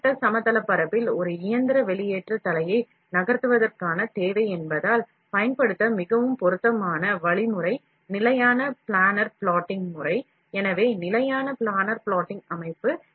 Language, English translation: Tamil, Since the requirement to move a mechanical extrusion head in the horizontal plane, then the most appropriate mechanism to use would be standard planar plotting system so, standard planner plotting system